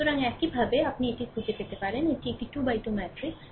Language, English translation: Bengali, So, this way you can find out so, this is a 3 into 3 matrix